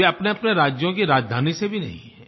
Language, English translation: Hindi, They do not even come from the capital cities of their respective states